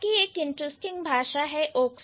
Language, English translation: Hindi, And then there is another language, oxapmin